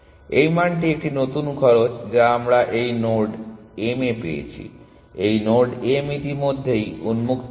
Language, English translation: Bengali, This value is a new cost that we have found to this node m, this node m was already on open